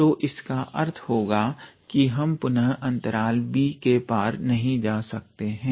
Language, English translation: Hindi, So that means, we again we cannot go beyond the interval b